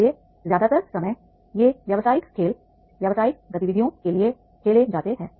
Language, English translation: Hindi, So most of the time these business games are played for the business activities